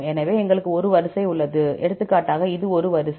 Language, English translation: Tamil, So, we have a sequence; for example, this is a sequence